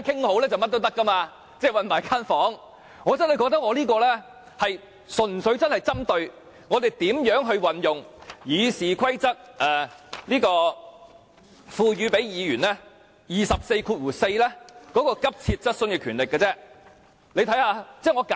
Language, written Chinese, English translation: Cantonese, 我真的認為我這項修正案，純粹是針對如何運用《議事規則》賦予議員根據第244條提出急切質詢的權力。, I truly think that this amendment is purely proposed on how this power of raising urgent questions vested in Members under RoP 244 can be exercised properly